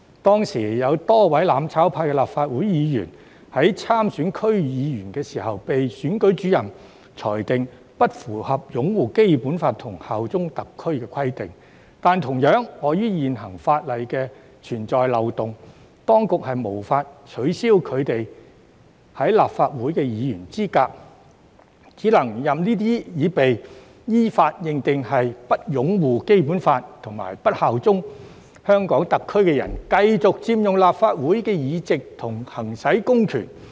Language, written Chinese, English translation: Cantonese, 當時有多位"攬炒派"立法會議員在參選區議會時，被選舉主任裁定不符合擁護《基本法》及效忠特區的規定，但同樣地，礙於現行法例存在漏洞，當局無法取消他們的立法會議員資格，只能任由這些已被依法認定為不擁護《基本法》及不效忠香港特區的人，繼續佔用立法會的議席及行使公權力。, At that time many Legislative Council Members from the mutual destruction camp were decided by the Returning Officer that they failed to fulfil the requirements on upholding the Basic Law and bearing allegiance to HKSAR . But similarly owing to the loopholes in existing laws the Administration could not disqualify those members from holding office . It could only let those people who have been decided in accordance with law to have failed to uphold the Basic Law and bear allegiance to HKSAR continue to occupy the seats of the Legislative Council and exercise public powers